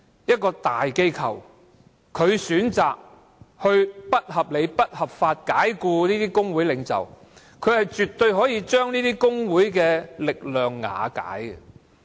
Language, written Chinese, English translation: Cantonese, 一間大型機構選擇不合理及不合法地解僱工會領袖，絕對可以將工會的力量瓦解。, It is absolutely possible for a large corporation to thwart the forces of a trade union by unreasonably and unlawfully dismissing its leaders